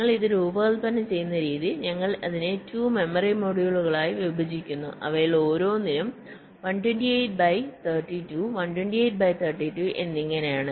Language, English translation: Malayalam, so the way we are designing it is that we are dividing that into two memory modules, each of them of size one twenty eight by thirty two and one twenty eight by thirty two